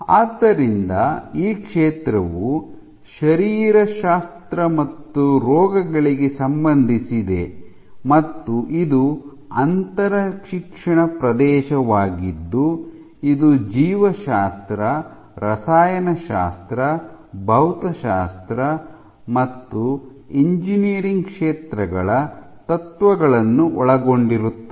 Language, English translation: Kannada, So, this field is relevant to both physiology as well as diseases and it this is an overall is an interdisciplinary area that draws from the fields of biology, chemistry, physics and engineering